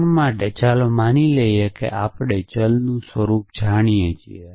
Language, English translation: Gujarati, So, for the moment let us assume that we know the nature of a variable